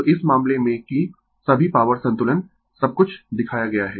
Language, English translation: Hindi, So, in this case that all power balance everything is shown